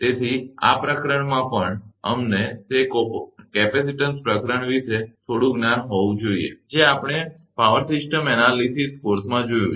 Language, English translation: Gujarati, So, and in this chapter also, we need little bit of your knowledge of those capacitance chapter, that which we have seen in power system analysis course